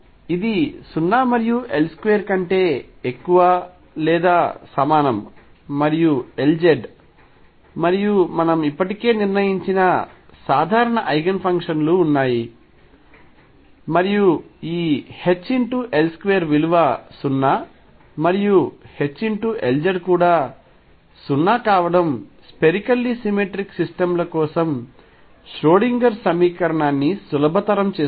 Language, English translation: Telugu, This is greater than or equal to 0 and L square and L z have common Eigenfunctions that we have already decided and this H L square being 0 and H L z being 0 simplifies the Schrodinger equation for spherically symmetric systems